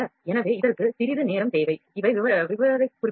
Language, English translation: Tamil, So, this also needs some soaking time, so these are the specifications